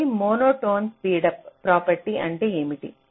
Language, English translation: Telugu, so what is monotone speedup property